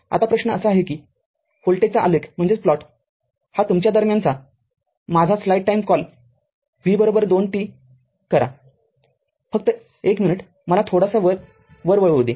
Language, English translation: Marathi, Now now question is that voltage plot this is my your in between your what you call ah v is equal to 2 t just just one minute let me move little bit up right